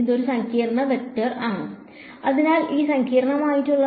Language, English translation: Malayalam, It is a complex vector; so this is complex